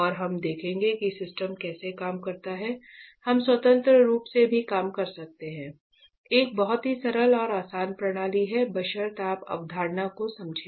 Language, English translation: Hindi, And he will show us how this system operates, but we can also operate independently; this is a very simple and easy system provided you understand the concept alright